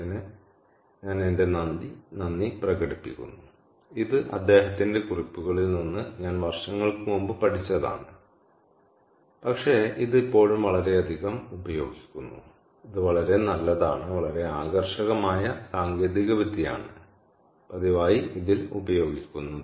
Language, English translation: Malayalam, this is from his notes, again, something that i learnt many years back, ah, but it still used very its its, its a very good its, a very attractive technology that is being used quite regularly